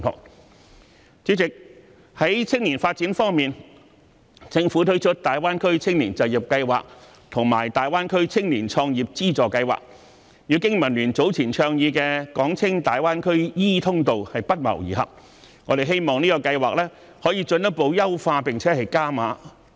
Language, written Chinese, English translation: Cantonese, 代理主席，在青年方面，政府推出大灣區青年就業計劃和粵港澳大灣區青年創業資助計劃，與經民聯早前倡議的"港青大灣區 e 通道"不謀而合，我們希望這個計劃可以進一步優化並"加碼"。, Deputy President with regard to young people the Government introduced the Greater Bay Area Youth Employment Scheme and the Funding Scheme for Youth Entrepreneurship in the Guangdong - Hong Kong - Macao Greater Bay Area which coincide with the e - channel to the Greater Bay Area for Hong Kongs youth earlier advocated by BPA . We hope these schemes can be further improved and enhanced